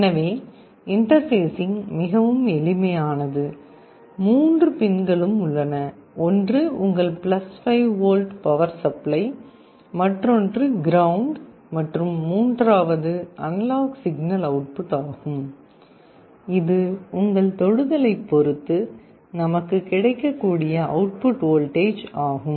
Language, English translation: Tamil, So the interfacing becomes very simple; there are three pins one is your + 5 volt power supply, other is ground and the third one is analog signal output; depending on your touch what is the output voltage that you can read